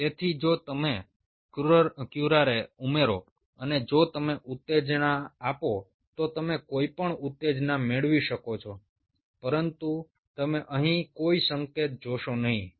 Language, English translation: Gujarati, so if you add curare and if you given stimulus, you you can have any stimulus, but you wont see any signal out here